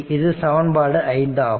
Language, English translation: Tamil, So, this is equation 5